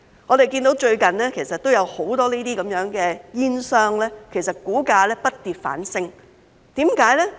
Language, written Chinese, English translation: Cantonese, 我們看到最近有很多這些煙商的股價不跌反升，為甚麼？, We can see that the share prices of many of these tobacco companies have gone up rather than fallen recently . Why?